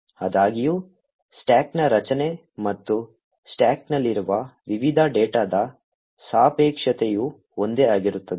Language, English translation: Kannada, However the structure of the stack and the relativeness of the various data are present on the stack would be identical